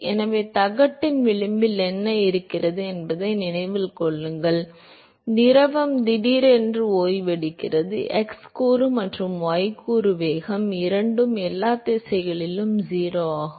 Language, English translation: Tamil, So, remember what happens at the edge of the plate the fluid suddenly comes to rest, both the x component and the y component velocity are 0 in all directions